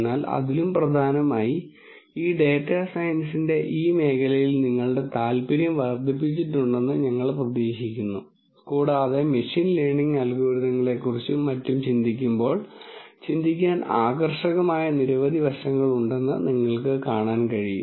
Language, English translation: Malayalam, But more importantly our hope has been that this has increased your interest in this eld of data science and as you can see that there are several fascinating aspects to think about when one thinks about machine learning algorithms and so on